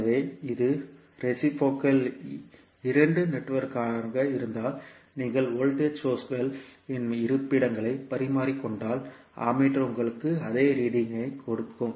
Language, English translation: Tamil, So, if it is reciprocal two port network, then if you interchange the locations of voltage source and the ammeter will give you same reading